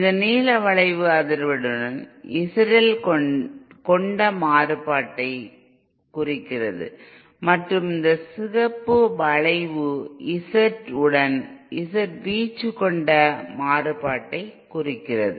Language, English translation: Tamil, This blue curve represents the variation of Z L with frequency and this red curve represents the variation of Z in Z in with amplitude